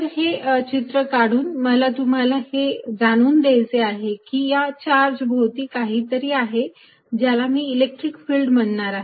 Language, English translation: Marathi, So, by making these pictures, what I am making you feel is that, something exists around a given charge and that is what I am going to call electric field